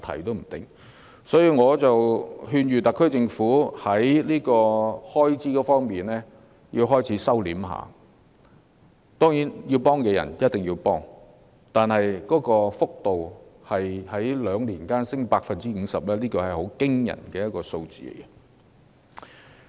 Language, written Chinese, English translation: Cantonese, 因此，我勸諭特區政府應該開始控制開支，當然必須協助有需要的人，但撥款在兩年間增加 50%， 是十分驚人的數字。, As a result I advise the SAR Government that it should start to control its expenditure . Of course we must help those in need but the funding has increased by 50 % in two years which is a very alarming figure